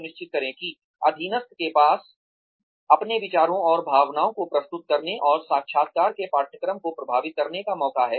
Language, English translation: Hindi, Ensure, that the subordinate has the opportunity, to present his or her ideas and feelings, and has a chance to influence the course of the interview